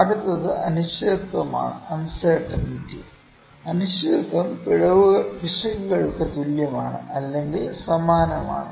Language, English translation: Malayalam, Next is uncertainty; uncertainty is equivalents to or similar to the errors